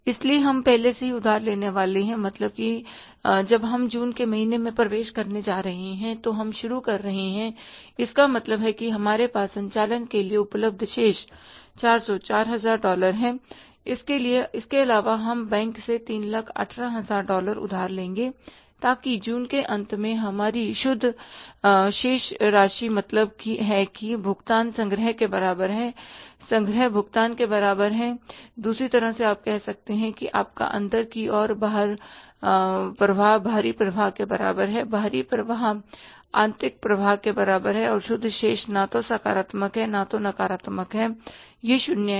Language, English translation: Hindi, So, we are already going to borrow, means when we are going to enter in the month of June, we are starting, means we have that, let's say, balance available for the operations is $4,000 plus we will borrow from the bank $318,000 so that our net balance at the end of the June becomes, means the payments are equal to collections, collections are equal to the payments